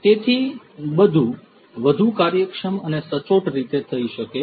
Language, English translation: Gujarati, So, everything could be done in a much more efficient and precise manner